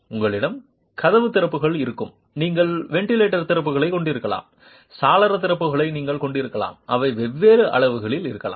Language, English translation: Tamil, You will have door openings, you can have ventilator openings, you can have window openings, they could be of different sizes